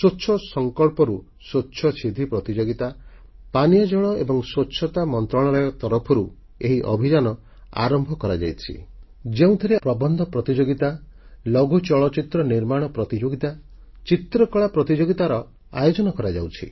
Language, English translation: Odia, The Ministry of Drinking Water and Sanitation has organized, the Swachch Sankalp se Swachcha Siddhi Pratiyogita, From the resolve of Cleanliness to attaining Cleanliness Competition comprising an essay competition, a short film making competition and a painting competition